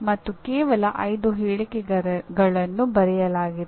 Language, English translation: Kannada, And there are only 5 statements that are written